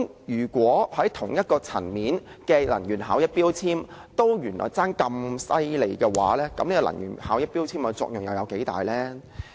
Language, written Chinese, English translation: Cantonese, 如果取得同一級別的能源標籤，耗能原來也相差甚遠，能源標籤的作用又有多大？, If the power consumption of electrical appliances with the same grade of energy labels differs greatly how useful are the energy labels?